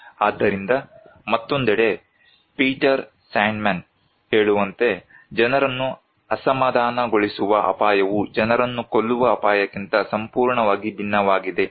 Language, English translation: Kannada, So, Peter Sandman, on the other hand is saying that risk that actually upset people are completely different than the risks that kill people